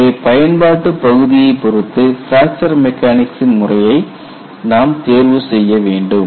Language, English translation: Tamil, So, depending on the application area you have to choose the methodology of fracture mechanics